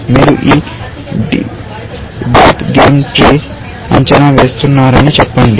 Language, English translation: Telugu, Let us say that you are evaluating this deep game tree